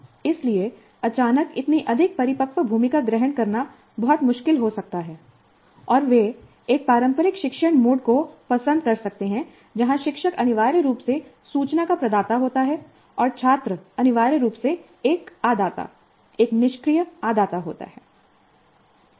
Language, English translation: Hindi, So it may be very difficult to suddenly assume such a more mature role and they may prefer a traditional instructional mode where the teacher is essentially a provider of information and the student is essentially a receiver, a passive receiver